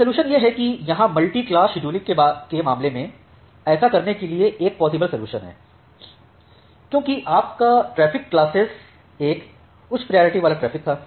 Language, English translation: Hindi, So, the solution is that in case of multiclass scheduling here is a possible solution to do that say because your traffic class 1 was a high priority traffic